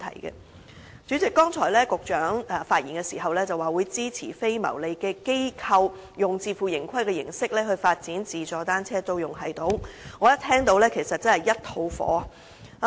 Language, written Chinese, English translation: Cantonese, 代理主席，局長剛才發言時表示會支持非牟利機構以自負盈虧的形式發展自助單車租用系統，我一聽到便滿腔怒火。, Deputy President the Secretary said in his earlier speech that the authorities would support the development of self - service bicycle rental systems by non - profit - making organizations on a self - financing basis . I was infuriated upon hearing that